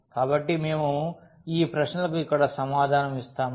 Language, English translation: Telugu, So, we will answer these questions here